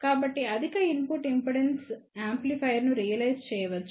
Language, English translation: Telugu, So, one can realize a high input impedance amplifier